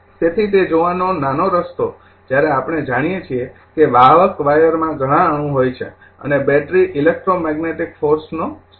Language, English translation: Gujarati, So, the little bit way of to see that when you, we know that a conducting wire consists of several atoms right and a battery is a source of electromagnetic force